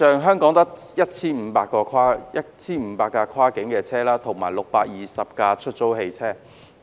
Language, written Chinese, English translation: Cantonese, 香港現有 1,500 部跨境客運車輛，以及620部出租汽車。, There are 1 500 cross - boundary passenger vehicles and 620 rental cars in Hong Kong